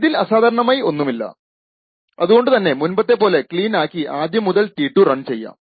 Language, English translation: Malayalam, So, this is nothing unusual about it, so we would make clean make and run t2